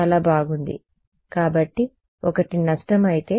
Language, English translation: Telugu, Very good right; so, one is if the loss